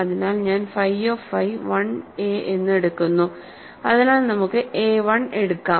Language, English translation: Malayalam, So, I am simply taking phi of 1 to be a; so, let us take a to be 1